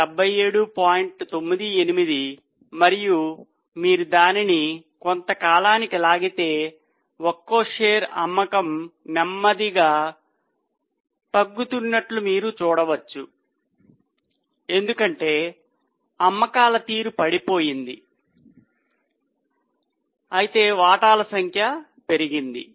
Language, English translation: Telugu, And if we drag it over a period of time, you can see there is a slow fall in the sale per share because the sale performance has dropped while the number of shares have gone up